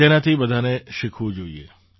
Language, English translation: Gujarati, Everyone should learn from her